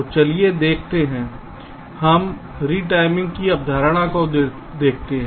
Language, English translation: Hindi, so lets see, lets look at the concept of retiming